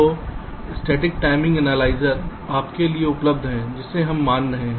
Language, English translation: Hindi, so static timing analyzer is available to you